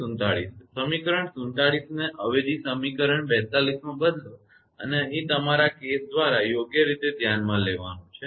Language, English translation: Gujarati, Now substitute equation 47 into equation 42 and here you have to consider case by case right